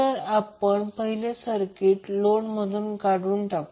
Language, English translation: Marathi, So, first we will remove the load from the circuit